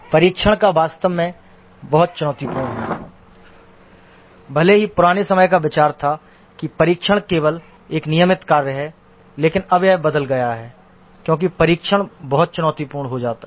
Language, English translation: Hindi, Testing is actually very challenging even though the old time view was that testing is only a routine work but now that has changed because testing has become very challenging